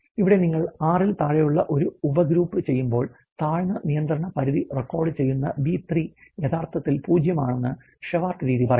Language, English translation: Malayalam, Shewhart method says that for subgroups size less than 6 the B3 which is actually recording the lower control limit is actually 0